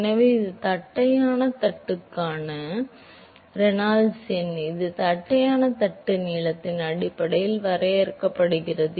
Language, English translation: Tamil, So, this is the Reynolds number for the flat plate, this is defined based on the length of the flat plate